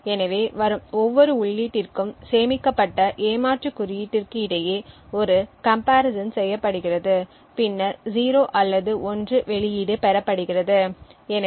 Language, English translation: Tamil, So, for each input that comes there is a comparison done between the cheat code stored and a output of 0 or 1 is then obtained